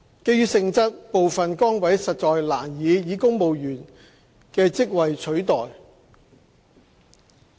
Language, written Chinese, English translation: Cantonese, 基於性質，部分崗位實難以公務員職位取代。, Due to the job nature some positions could hardly be replaced by civil service positions